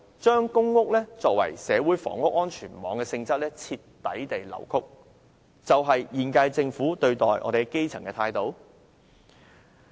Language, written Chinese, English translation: Cantonese, 將公屋作為社會房屋安全網的性質徹底地扭曲，難道便是現屆政府對待基層的態度？, Is the wholesale distortion of the nature of PRH as a social housing safety net a reflection of the current - term Governments attitude towards the grass roots?